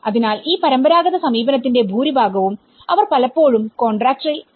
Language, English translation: Malayalam, So, that is where much of this traditional approach they often end up with a contractor